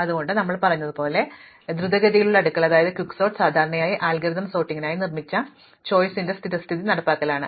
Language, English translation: Malayalam, This is why as we said, quick sort is usually the default implementation of choice for built in sorting algorithms